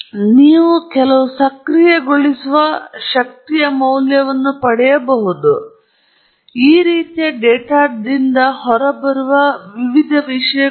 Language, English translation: Kannada, So, and then, you may get some activation energy values, lot of different things you may get out of this kind of data